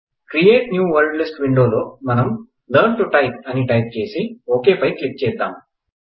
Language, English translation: Telugu, In the Create a New Wordlist window, let us type Learn to Type